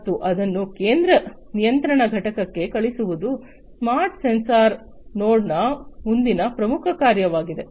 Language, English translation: Kannada, And sending it to the central control unit is the next important function of a smart sensor node